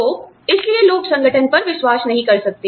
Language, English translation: Hindi, So, that is why, people may not trust the organization